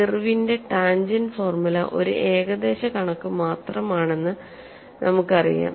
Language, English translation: Malayalam, We know Irwin's tangent formula and the parameters needed for calculation